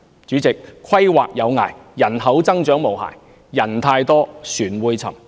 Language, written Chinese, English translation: Cantonese, 主席，"規劃有涯，而人口增長也無涯"，人太多，船便會沉。, President there are limits to planning but none to population growth . When there are too many people on board the ship will sink